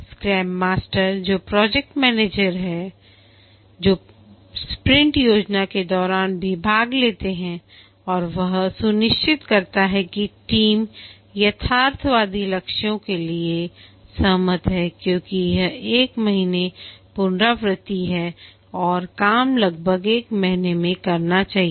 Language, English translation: Hindi, The scrum master, the project manager, he also participates during the sprint planning and ensures that the team agrees to realistic goals because it is a one month iteration and the work should be doable in roughly one month